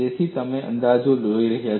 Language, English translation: Gujarati, So, you are looking at the approximations